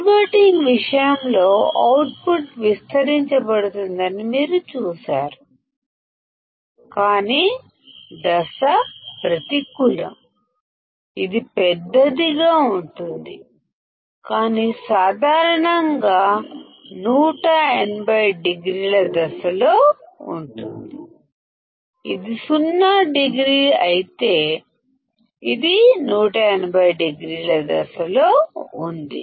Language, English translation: Telugu, in the case of inverting; you will see that the output would be amplified, but out of phase; it will be magnified, but generally 180 degree out of phase; if this is 0 degree, it is 180 degree out of phase